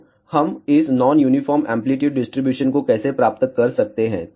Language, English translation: Hindi, So, how we can get this non uniform amplitude distribution